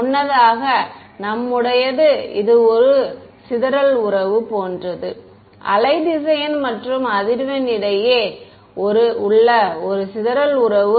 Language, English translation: Tamil, Earlier, what was our is this is like a dispersion relation, a relation between wave vector and frequency is dispersion relation